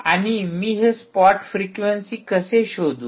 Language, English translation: Marathi, and how do i find out this spot frequency